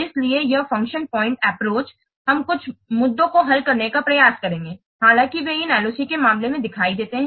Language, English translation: Hindi, So, this function point approach will try to resolve some of the issues, those we are appeared in case of this LOC